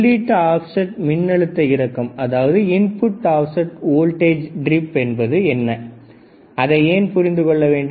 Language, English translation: Tamil, For example, input offset voltage why we need to understand input offset voltage